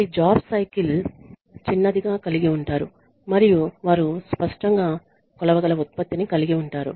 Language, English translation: Telugu, They have a shorter job cycle and they have a clear measurable output